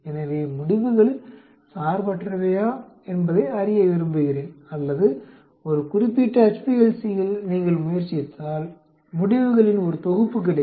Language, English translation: Tamil, So, I want to know whether the results are independent or you get one set of results if you try it out on one particular HPLC